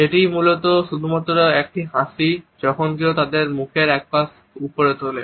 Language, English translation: Bengali, It is basically just a smirk, when someone raises one side of their mouth up